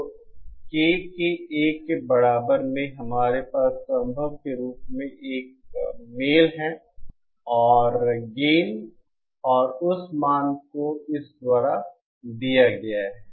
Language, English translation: Hindi, So at K equal to 1, we have a match as possible and the gain and that value is given by this